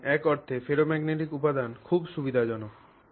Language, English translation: Bengali, If you want to do that this ferromagnetic material is not convenient